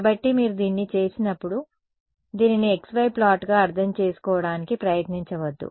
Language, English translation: Telugu, So, when you see this do not try to interpret this as a x y plot right